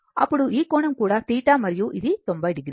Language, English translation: Telugu, Then, this angle is also theta and this is 90 degree